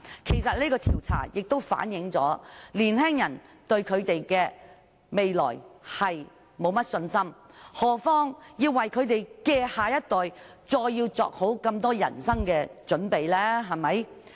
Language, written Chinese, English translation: Cantonese, 其實這項調查反映了年青人對未來缺乏信心，遑論要為他們的下一代作好人生準備？, In fact this survey reflects the young peoples lack of confidence in the future not to mention making preparations for their next generation